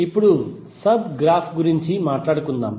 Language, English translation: Telugu, Now let us talk about the sub graph